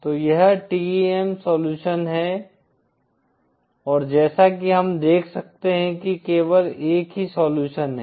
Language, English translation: Hindi, So this is the TEM solution and as we can see there is only a single solution